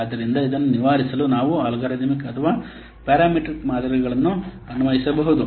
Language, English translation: Kannada, So, in order to overcome this we may apply algorithmic or parametric models